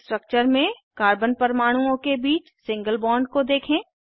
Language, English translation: Hindi, Observe the single bond between the carbon atoms in the structures